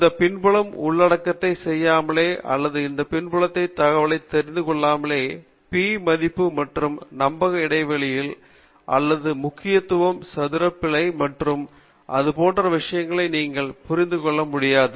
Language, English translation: Tamil, Without doing this background material or without knowing this back ground material you may not be able to understand what is meant by P value or confidence intervals or level of significance, mean square error, and things like that